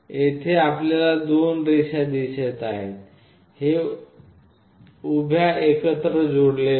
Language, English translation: Marathi, There are 2 lines we can see here, these are vertically connected together